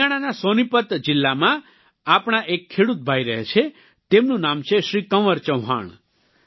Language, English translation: Gujarati, One such of our farmer brother lives in Sonipat district of Haryana, his name is Shri Kanwar Chauhan